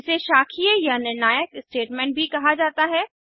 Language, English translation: Hindi, It is also called as branching or decision making statement